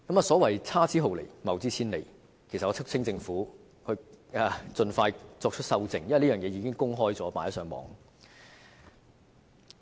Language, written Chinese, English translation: Cantonese, 所謂差之毫釐，謬之千里，我促請政府盡快修正，因為這已在互聯網上公開。, I urge the Government to make corrections as soon as possible because these are already published on the Internet